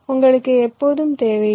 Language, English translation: Tamil, you always do not need their